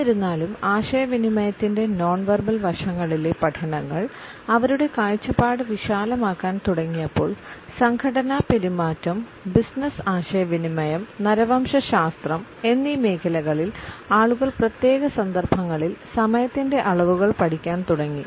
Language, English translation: Malayalam, However, we find that as studies in the field of nonverbal aspects of communication is started to broaden their perspective, in the areas of organizational behavior, business communication as well as an anthropology people started to study the dimensions of time in particular contexts